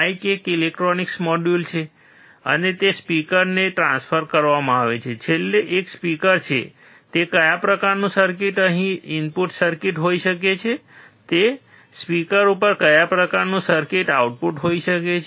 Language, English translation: Gujarati, Through mike there is a electronic module, and it transferred to the speaker that finally, is a speaker which kind of circuit can be the input circuit here, and which kind of circuit can be output at the speaker